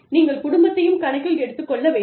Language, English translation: Tamil, You have to take, the family into account